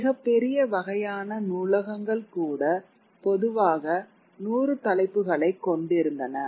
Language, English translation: Tamil, Even the largest sort of libraries typically had just about 100 titles